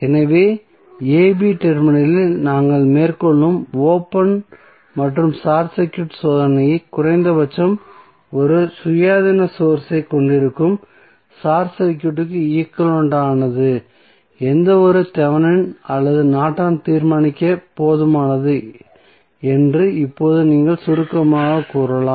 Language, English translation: Tamil, So, now you can say in summary that the open and short circuit test which we carry out at the terminal a, b are sufficient to determine any Thevenin or Norton equivalent of the circuit which contains at least one independent source